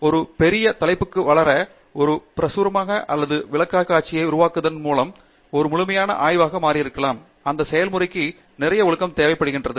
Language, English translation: Tamil, To grow into a big topic, worth making a publication or a presentation and may be becoming a whole thesis by itself, that process requires lot of discipline